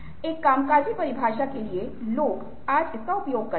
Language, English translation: Hindi, so, for a working definition, people today use that